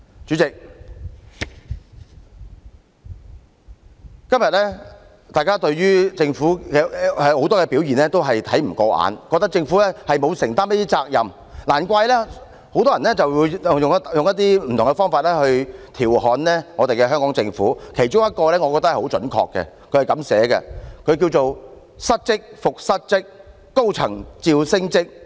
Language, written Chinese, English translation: Cantonese, 主席，今天大家對於政府很多表現也看不過眼，覺得政府沒有承擔責任，難怪很多人用不同方法來調侃香港政府，我覺得其中一個描述是很準確的："失職復失職，高層照升職。, There is little wonder that many people are using various ways to ridicule the Hong Kong Government . I think one of the portrayals is most fitting Translation A mess yet another mess . High officials get promoted nonetheless